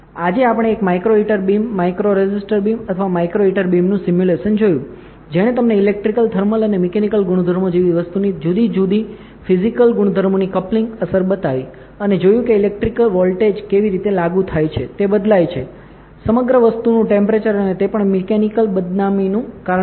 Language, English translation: Gujarati, Today we saw the simulation of a micro heater beam micro resister beam or micro heater beam, which showed you the coupling effect of three different physical properties of a material like electrical, thermal and mechanical properties correct, and seen how applying a electrical voltage changes the temperature across the material and also causes mechanical defamation